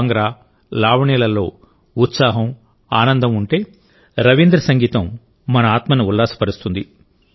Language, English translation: Telugu, If Bhangra and Lavani have a sense of fervor and joy, Rabindra Sangeet lifts our souls